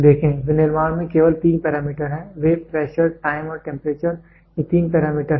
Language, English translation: Hindi, See, in manufacturing there are only three parameters, they are pressure, time and temperature these are the three parameters